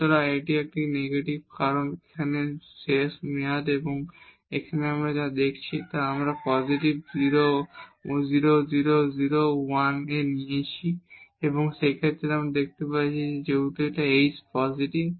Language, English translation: Bengali, So, this is a still negative because these are the last term, but what we see here now we have taken this point 0001 and in that case now we can see that the, since h is positive